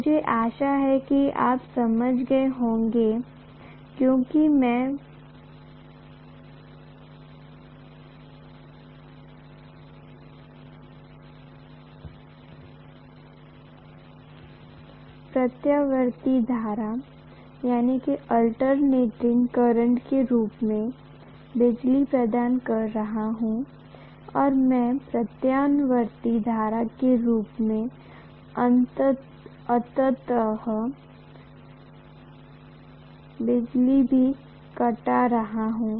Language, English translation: Hindi, I hope you understand because I am providing electricity in the form of alternating current, I am also reaping ultimately electricity in the form of alternating current